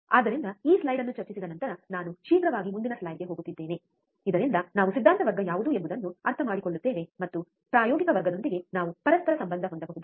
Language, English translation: Kannada, So, I am just quickly moving on the to the next slide after discussing this slide so that we understand what was the theory class and we can correlate with the experimental class